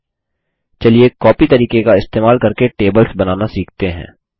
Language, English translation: Hindi, Okay, let us learn to create tables by using the copy method